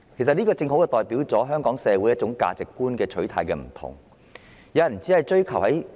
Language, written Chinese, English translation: Cantonese, 這亦正好反映出香港社會上各人對價值觀的不同取態。, This has also precisely reflected the divergent attitudes held by different people in Hong Kong society towards various values